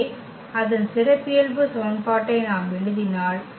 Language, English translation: Tamil, So, if we write down its characteristic equation